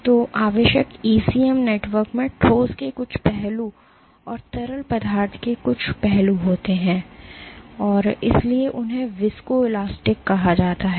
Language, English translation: Hindi, So, in essential ECM network has some aspect of solid and some aspect of fluid and they are hence called, so, ECM networks are generally viscoelastic